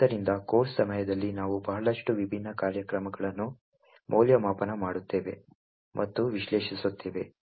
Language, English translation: Kannada, So, during the course we will be evaluating and analysing a lot of different programs